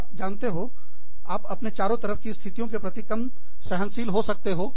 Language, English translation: Hindi, You could be, you know, less tolerant of situations, around you